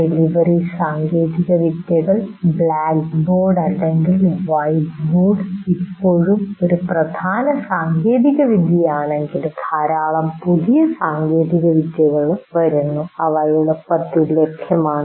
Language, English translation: Malayalam, Delivery technologies while still blackboard or whiteboard is the dominant technology, but plenty of new technologies are coming and are available now readily